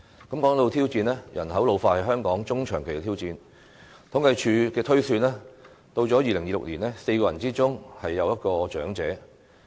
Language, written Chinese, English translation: Cantonese, 談到挑戰，人口老化是香港中長期的挑戰，按政府統計處的推算，至2026年 ，4 人之中便有一位長者。, As regards challenges population ageing will be a medium and long - term challenge for Hong Kong . Based on the projection of the Census and Statistics Department one in four people will be an elderly person by 2026